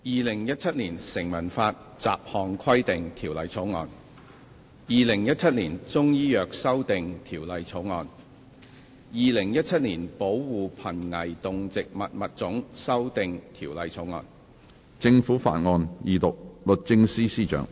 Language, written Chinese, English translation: Cantonese, 《2017年成文法條例草案》《2017年中醫藥條例草案》《2017年保護瀕危動植物物種條例草案》。, Statute Law Bill 2017 Chinese Medicine Amendment Bill 2017 Protection of Endangered Species of Animals and Plants Amendment Bill 2017